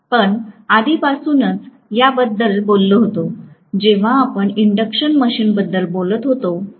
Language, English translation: Marathi, We already talked about this, when we were talking about the induction machine